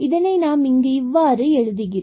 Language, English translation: Tamil, So, if you make this table here